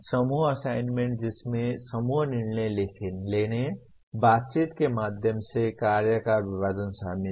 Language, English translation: Hindi, Group assignments that involve group decision making, division of work through negotiations